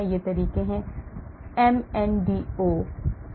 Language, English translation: Hindi, these are the methods, MNDO, AM1, PM3